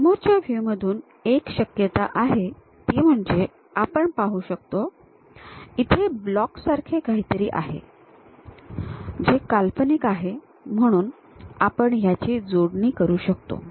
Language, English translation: Marathi, One of the possibility is from frontal view, we can see that there is something like this kind of block, which is imaginary, so we can join along with our this one